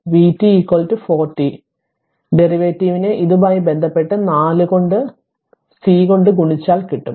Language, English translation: Malayalam, So, if you take the derivative with respect to it will we 4 and multiplied by C